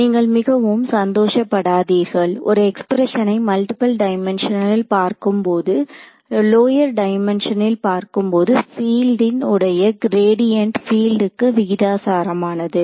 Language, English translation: Tamil, So, do not get I mean you should not get overwhelmed when you see an expression in multiple dimensions, when you look at it in lower dimensions this is basically what it is gradient of field is proportional to the field itself